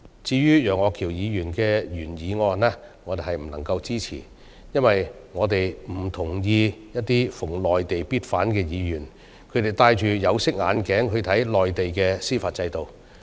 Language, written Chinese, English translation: Cantonese, 至於楊岳橋議員的原議案，我們不能夠支持，因為我們不同意一些逢內地必反的議員，他們戴着有色眼鏡看內地的司法制度。, We cannot support the original motion of Mr Alvin YEUNG because we disagree with those Members who oppose everything related to the Mainland and view the Mainland judicial system from a biased perspective